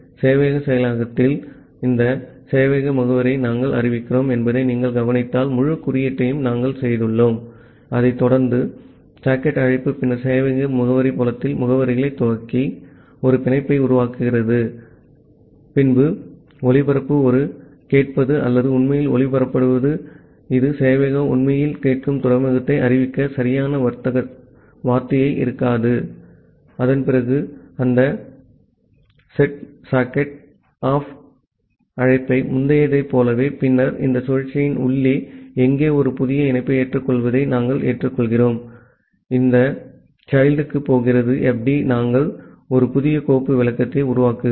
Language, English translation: Tamil, So, at the server implementation, so the change that, we have made the entire code is similar if you look into that we are declaring this server address, followed by a socket call then initializing the addresses at the server address field, making a bind call, making a listen call to broadcast the or not to actually broadcast this may not be a correct term to announce the port where the sever is actually listening and after that making that set sock opt call as earlier and then inside this while loop, where you are accepting accepting the connection we are accepting accepting a new connection and it is going to this child fd we are creating a new file descriptor